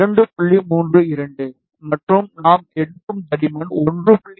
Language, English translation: Tamil, 32, and the thickness that we are taking is 1